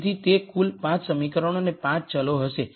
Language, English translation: Gujarati, So, that will be a total of 5 equations and 5 variables